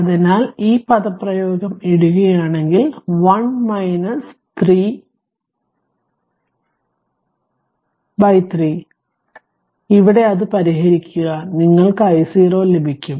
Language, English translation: Malayalam, So, if you put this expression of i here expression of i here in terms of 1 minus 3 0 by 3 then solve it you will get i 0